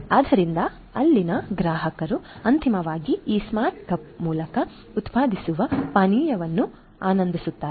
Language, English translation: Kannada, So, customers there after enjoy the beverage that is finally, produced through this smart cup